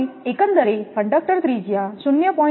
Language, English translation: Gujarati, Now, the overall conductor radius 0